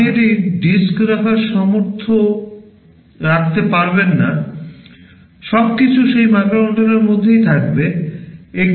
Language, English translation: Bengali, You cannot afford to have a disk, everything will be inside that microcontroller itself